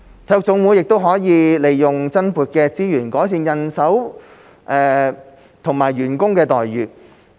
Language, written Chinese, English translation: Cantonese, 體育總會亦可利用增撥的資源改善人手和員工待遇。, NSAs can also use the additional resources to improve manpower and employee benefits